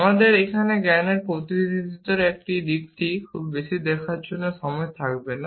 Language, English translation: Bengali, We shall not have the time to look in to the knowledge representation aspect too much here